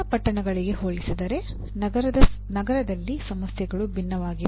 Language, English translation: Kannada, The issues are different in a city compared to smaller towns